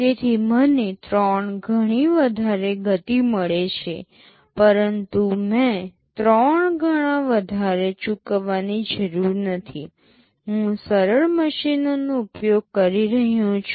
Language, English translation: Gujarati, So, I have got a 3 time speed up, but I have not paid 3 times more, I am using simpler machines